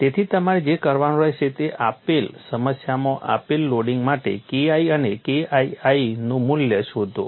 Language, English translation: Gujarati, So, what you will have to do is, in a given problem find out the value of K1 and K2 for the given loading